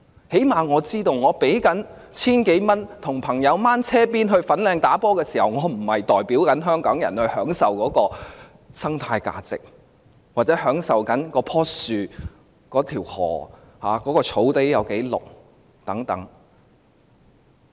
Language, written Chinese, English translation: Cantonese, 最低限度，我知道我要支付 1,000 多元，跟隨朋友前往粉嶺打球時，我並非在代表香港人享受當地的生態價值，又或是享受那棵樹、那條河流、那片綠草地等。, At the very least I know I have to pay more than 1,000 to follow my friends to go golfing at Fanling and I am not enjoying its ecological value on behalf of all Hong Kong people nor that tree that river that green etc